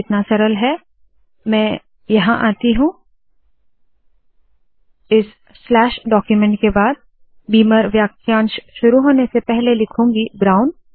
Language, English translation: Hindi, So what I will do is, ill come here, after this slash document class before the beamer phrase starts I will write here brown